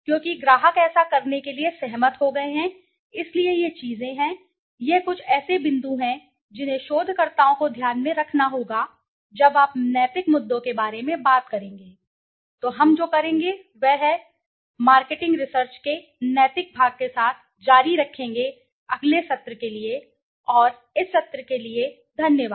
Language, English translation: Hindi, Because the client has agreed to do this so these are things, this is some of points that the researchers needs to keep in mind when you talk about ethical issues, so what we will do is we will continue with the ethical part of marketing research in the next session, and thanks for this session